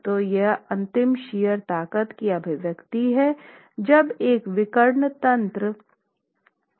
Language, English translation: Hindi, So, this is the expression for ultimate shear force when a diagonal tension mechanism is occurring